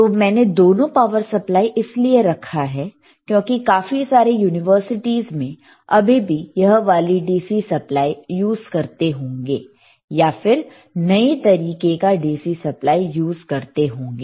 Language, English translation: Hindi, So now, why I have kept both the power supplies here is that lot of universities may still use this DC power supply or may use advanced version